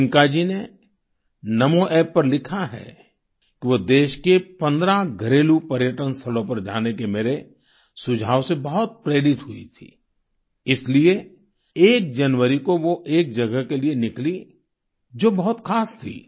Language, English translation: Hindi, Priyanka ji has written on Namo App that she was highly inspired by my suggestion of visiting 15 domestic tourist places in the country and hence on the 1st of January, she started for a destination which was very special